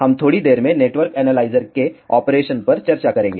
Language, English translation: Hindi, We will see what is inside a network analyzer next